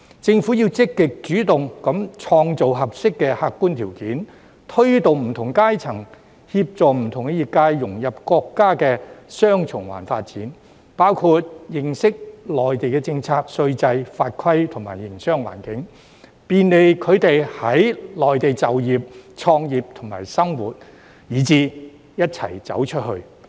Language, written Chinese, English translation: Cantonese, 政府要積極主動地創造合適的客觀條件，推動不同階層和協助不同業界融入國家的"雙循環"發展，包括認識內地的政策、稅制、法規和營商環境，便利他們在內地就業、創業及生活，一起"走出去"。, The Government should actively take the initiative to create suitable objective conditions to facilitate and assist various strata and sectors in integrating into the countrys development of dual circulation which include understanding Mainlands policies tax regime rules regulations and business environment thereby facilitating their employment entrepreneurship and living in the Mainland and going global together